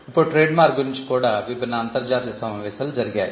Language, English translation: Telugu, Now, trademark again has different international conventions